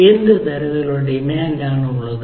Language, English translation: Malayalam, what sort of demand is there